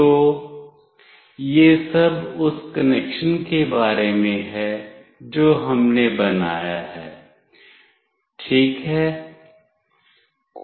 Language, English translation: Hindi, So, this is all about the connection that we have made ok